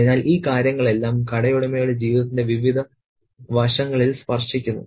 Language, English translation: Malayalam, So, these things kind of touch upon various aspects of life for the shopowner